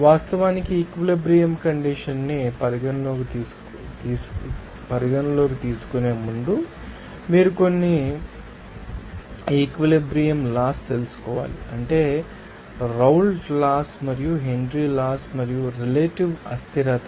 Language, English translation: Telugu, And before actually considering their saturation condition, you have to know some equilibrium laws, that is Raoult’s law, and Henry’s law and also relative volatility